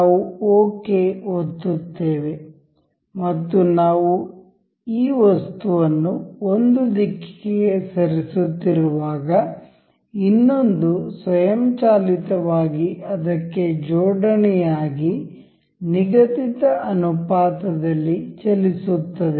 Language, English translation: Kannada, We will click ok and as we move this item to in one direction, the other one automatically couples to that and move in the prescribed ratio